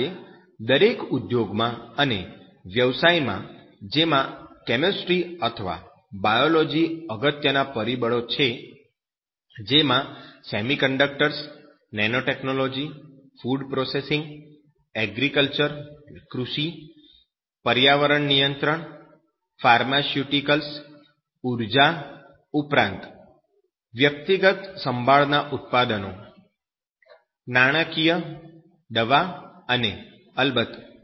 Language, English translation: Gujarati, Today in every industry and you can service profession in which chemistry or Biology, where those factors including you can say that semiconductors, nanotechnology, food processing, agriculture, environmental control, pharmaceuticals energy, even personal care products, finance medicine and of course